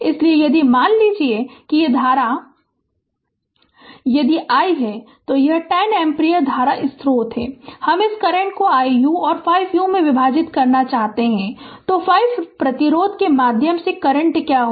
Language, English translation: Hindi, So, if suppose this current suppose if it is i if it is i, then this this is the 10 ampere current source, I want to divide this current in ah 1 ohm and 5 ohm then what is the current through the 5 ohm resistance